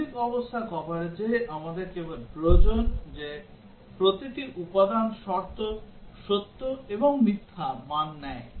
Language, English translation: Bengali, In basic condition coverage, we just require that each component condition takes true and false values